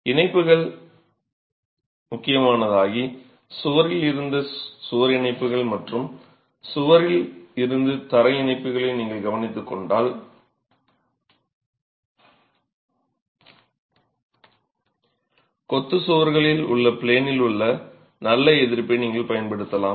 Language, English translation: Tamil, The connections become critical and if you take care of connections, wall to wall connections and wall to floor connections, then you can harness the in plain, the good in plain resistance that masonry walls have